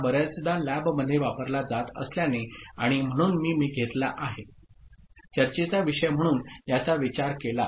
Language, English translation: Marathi, Since it is often used in the lab and so I have taken, considered this as a topic of the discussion